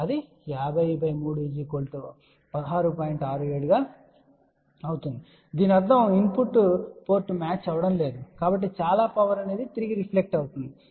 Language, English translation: Telugu, 67 ohm and that means that input port will not be matched, so lot of power will get reflected back